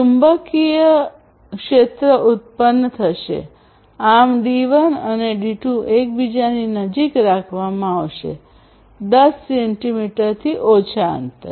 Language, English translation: Gujarati, So, for it to happen you need to keep the D1 and the D2 pretty close to each other, less than 10 centimeters apart